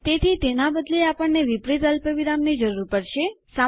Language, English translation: Gujarati, So instead of these, well need inverted commas